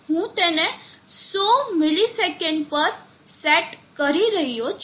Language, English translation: Gujarati, I am setting it at 100 milliseconds